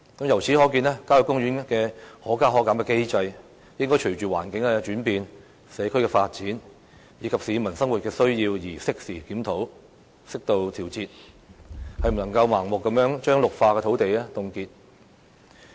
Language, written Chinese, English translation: Cantonese, 由此可見，郊野公園的"可加可減"機制應該隨着環境轉變、社區發展，以及市民生活需要而適時檢討，適度調節，不能夠再盲目地將綠化土地凍結。, From this we can see that the adjustment mechanism for country parks should undergo a timely review and appropriate adjustments owing to the changing environment community development and peoples living needs . We should refrain from blindly freezing our green areas